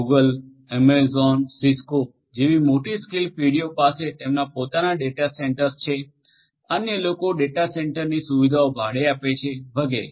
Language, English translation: Gujarati, Large scale companies such as Google, Amazon, Cisco they have their own data centres others rent the data centre facilities and so on